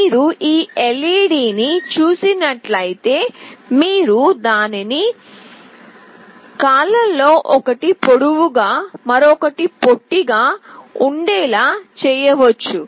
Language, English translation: Telugu, If you see this LED, you can make out that one of its legs is longer, and another is shorter